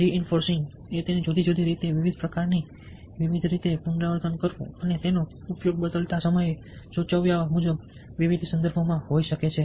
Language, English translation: Gujarati, reinforcing is repetition, doing it in different ways, ok, and in different kinds of varieties of ways, and it can be used in different context, as indicated in changing